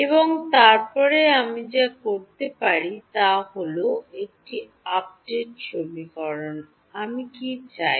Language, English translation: Bengali, And then what I can do is, in an update equation, what do I want